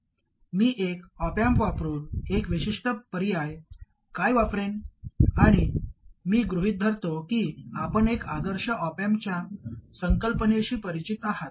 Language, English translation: Marathi, But I will use one particular option using an op amp and I assume that you are familiar with the concept of the ideal op amp